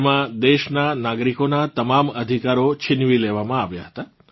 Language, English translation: Gujarati, In that, all the rights were taken away from the citizens of the country